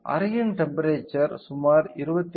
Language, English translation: Tamil, The room temperature is around 28